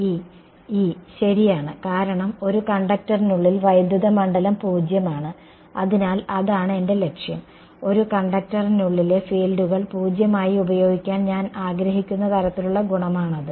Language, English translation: Malayalam, E right because inside a conductor electric field is 0; so I that is the goal, that is the sort of property I want to utilize fields inside a conductor as 0